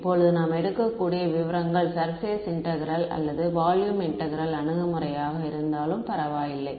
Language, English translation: Tamil, Now the details we can take either the surface integral or the volume integral approach it does not matter ok